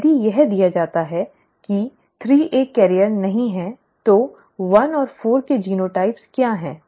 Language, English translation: Hindi, If 3 is not a carrier, if this is given, what are the genotypes of 1 and 4